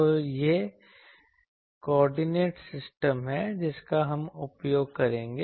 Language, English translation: Hindi, So, this is the coordinate system we will use